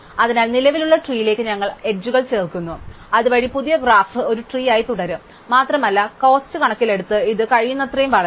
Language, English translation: Malayalam, So, we keep adding edges to the existing tree, so that the new graph remains a tree and it grows as little as possible it terms of cost